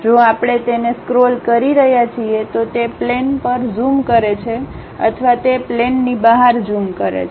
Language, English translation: Gujarati, If we are scrolling it, it zoom onto that plane or zooms out of that plane